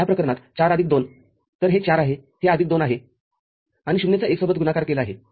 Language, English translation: Marathi, In this case 4 plus 2, so this is 4, this is plus 2, and this is 0 multiplied with 1